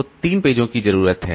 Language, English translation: Hindi, So, three pages are needed